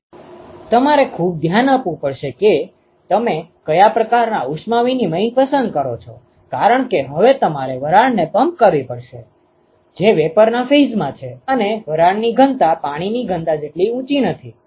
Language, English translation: Gujarati, So, you have to be very careful as to how, which kind of heat exchangers you choose, because now you have to pump steam, which is in vapor phase and the density of steam is not as high as density of water